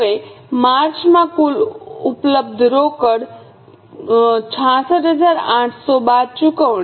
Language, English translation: Gujarati, Now in the March the total available cash is 66800 minus the payments